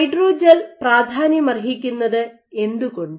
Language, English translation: Malayalam, So why is hydrogel important